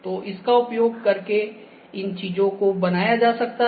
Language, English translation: Hindi, So, these things can be created using this